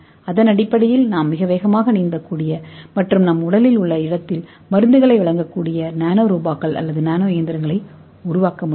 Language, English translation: Tamil, Based on that we can make a nano robots or nano machines which can swim very fast and it can deliver the drug in your body